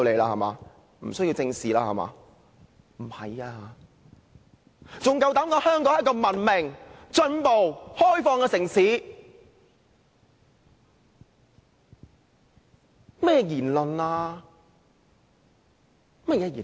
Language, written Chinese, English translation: Cantonese, 他們還敢膽說香港是一個文明、進步、開放的城市，這是甚麼言論？, How dare they say that Hong Kong is a civilized advanced and open city? . What kind of remarks is this?